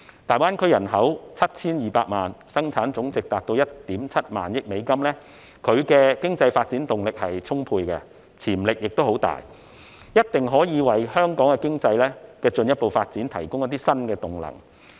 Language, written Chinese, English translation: Cantonese, 大灣區人口有 7,200 萬，生產總值達到 1.7 萬億美元，具有充沛的經濟發展動力和潛力，一定可以為香港經濟的進一步發展提供一些新動能。, With a population of 72 million a GDP of US1.7 trillion and vibrant impetus and potential for economic development GBA will definitely be able to provide new impetus for the further development of Hong Kongs economy